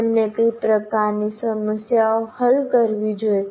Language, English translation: Gujarati, So what kind of problem should he solve